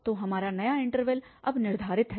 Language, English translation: Hindi, So, our new interval is set now